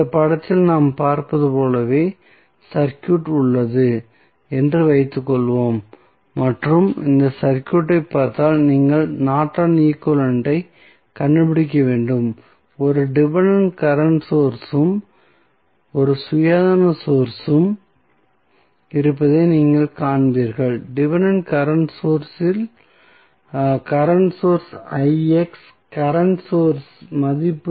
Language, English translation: Tamil, Suppose, the circuit is as we see in the figure and we need to find out the Norton's equivalent if you see this circuit, you will see that there is 1 dependent current source and 1 independent voltage source, the dependent current source current source Ix the value of the current sources 2Ix